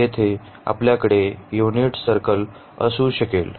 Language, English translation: Marathi, So, here can we have the unit circle